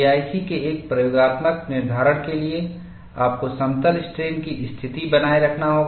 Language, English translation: Hindi, For an experimental determination of K 1C, you have to maintain plane strain condition